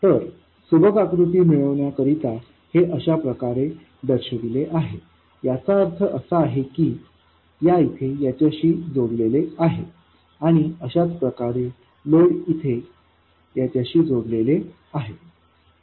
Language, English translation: Marathi, So, just to keep the diagram neat, this is shown, this means that this is connected to this and the load is connected to this and so on